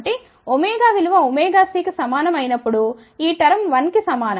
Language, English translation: Telugu, So, when omega is equal to omega c this term will be equal to 1